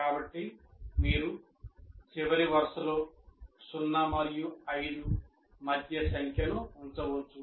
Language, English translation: Telugu, So you can put a number between zero and five in the last column